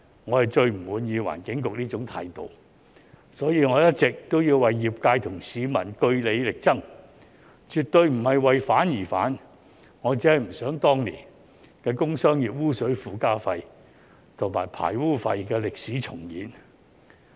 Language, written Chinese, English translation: Cantonese, 我最不滿意環境局這種態度，所以我一直都要為業界和市民據理力爭，絕對不是為反而反，我只是不想當年的工商業污水附加費和排污費的歷史重演。, I am most dissatisfied with such an attitude of the Environment Bureau and that is why I have all along been fighting for the industry and the public on just grounds . I definitely do not oppose for the sake of opposition . I only do not wish to see the history of TES and sewage charge repeat itself